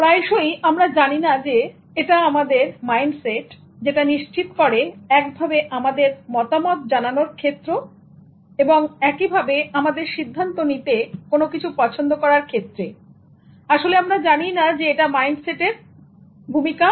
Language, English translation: Bengali, Often we do not know that it's our mindset that is determining the way in which we are giving our opinion, the way in which we are deciding to choose something